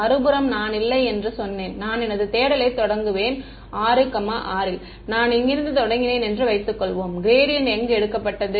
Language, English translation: Tamil, On the other hand, supposing I said no I will start my search from let us say (6,6) supposing I have start from here where do was the gradients taking